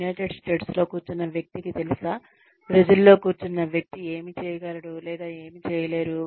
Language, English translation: Telugu, Can a person sitting in the United States know, what a person sitting in Brazil, will be able to do or not